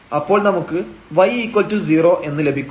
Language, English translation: Malayalam, So, it means y is equal to 0